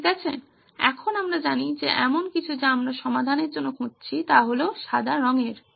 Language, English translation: Bengali, Okay now we know that something that we are looking for in terms of a solution is white in color